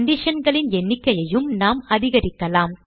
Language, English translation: Tamil, We can also increase the number of conditions